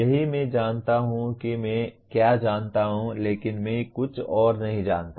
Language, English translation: Hindi, That is I know what I know but I do not know something else